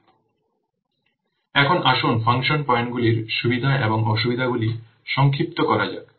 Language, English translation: Bengali, So now let's summarize what are the pros and cons of the function points